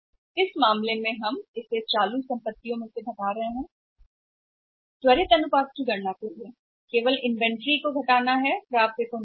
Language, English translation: Hindi, Now in this case we are subtracting it from the current while calculating quick ratio only only inventory is subtracted not the receivables